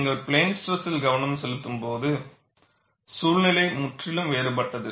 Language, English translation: Tamil, And the moment you go to plane stress, the situation is quite different